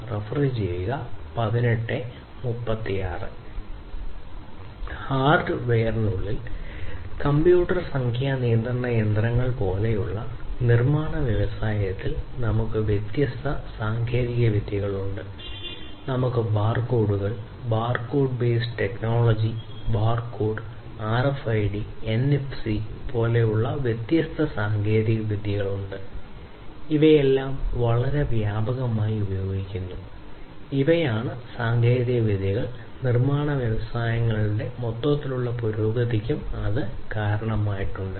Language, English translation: Malayalam, Within hardware we have different technologies in the manufacturing industries such as the computer numeric control machines, we have the barcodes, barcode base technology barcode, we have different technologies such as RFID, NFC all of these are quite, you know, used quite widely and these are the technologies that have also contributed to the overall advancement of the manufacturing industries and like this actually there are many others also